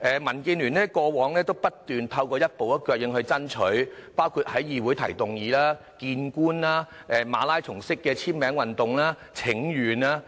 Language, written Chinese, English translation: Cantonese, 民建聯過往不斷透過一步一腳印爭取，包括在議會提出議案、與官員會面，以及舉行馬拉松式簽名運動和請願。, DAB has been making persistent and pragmatic efforts to fight for solutions including the moving of motions in the Council meetings with government officials and the launching of marathon signature campaigns and petitions